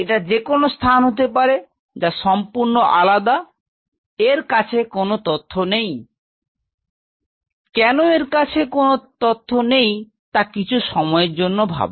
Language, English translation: Bengali, It is any space totally different it has no clue why it has no clue think of it for a minute